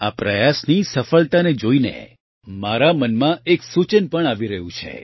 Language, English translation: Gujarati, Looking at the success of this effort, a suggestion is also coming to my mind